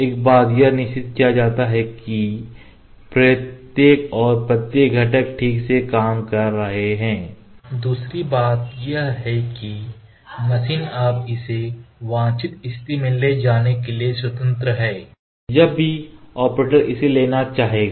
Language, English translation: Hindi, One thing is it is made sure that each and every component are working properly, second thing is that machine is now free to take it to the desired position whenever wherever the operator would like to take it to